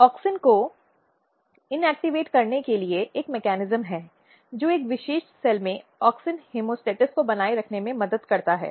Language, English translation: Hindi, So, there is a mechanism that you can inactivate auxin that helps in maintaining auxin homeostasis in a particular cell